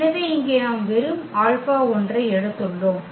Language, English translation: Tamil, So, that is here we have taken just alpha 1